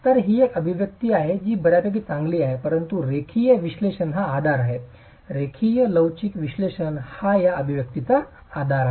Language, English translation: Marathi, So this is an expression that is fairly good but linear analysis is the basis, linear elastic analysis is the basis of this expression itself